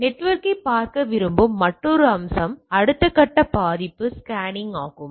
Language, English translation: Tamil, So, another aspect what we want to look at the network that is the vulnerability scanning next step is the